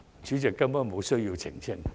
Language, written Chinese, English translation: Cantonese, 主席，我根本無需澄清。, President there is utterly no need for me to clarify anything